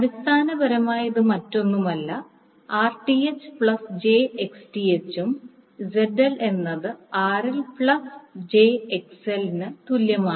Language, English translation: Malayalam, So, basically this is nothing but Rth plus j XTh and ZL is equal to RL plus j XL